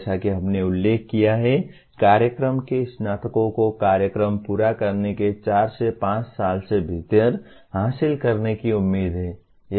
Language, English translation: Hindi, As we mentioned, what the graduates of the program are expected to achieve within four to five years of completing the program